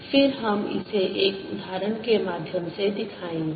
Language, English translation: Hindi, i will also demonstrate this through an example